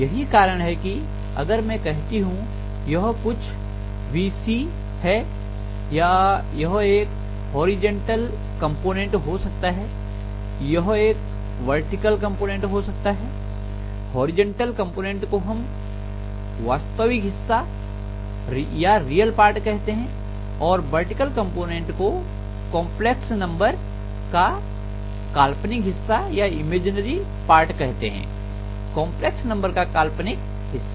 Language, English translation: Hindi, So that is the reason why if I say this is some VC or something it can have a horizontal component, it can have a vertical component, the horizontal component we call as the real part of the complex number and the vertical component we call as the imaginary part of the complex number, imaginary part of the complex number